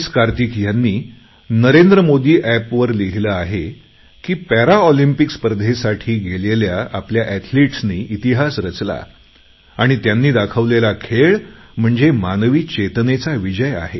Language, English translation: Marathi, Kartik has written on NarendraModiApp that our athletes who participated in the Paralympics have created a new history and their performance is a triumph of the human spirit